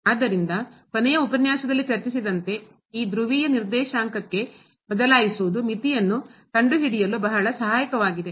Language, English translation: Kannada, So, as discussed in the last lecture, this changing to polar coordinate is very helpful for finding out the limit